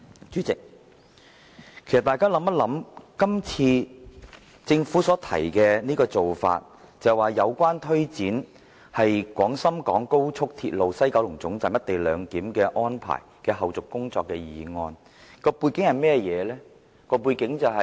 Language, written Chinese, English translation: Cantonese, 主席，大家想想，政府今次所提出的做法，是關於"有關推展廣深港高速鐵路西九龍站'一地兩檢'安排的後續工作的議案"，而背景關於甚麼呢？, President Members may remind themselves that the Government has put forward a motion entitled Taking forward the follow - up tasks of the co - location arrangement at the West Kowloon Station of the Guangzhou - Shenzhen - Hong Kong Express Rail Link . And what are the background circumstances leading up to this motion?